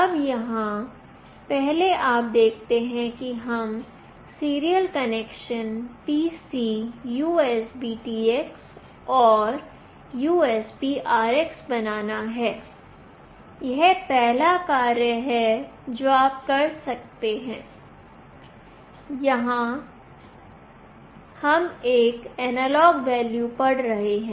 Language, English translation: Hindi, Now here, first you see we have to make this connection serial PC USBTX and USBRX this is the first thing, you have to do and here we are reading an analog value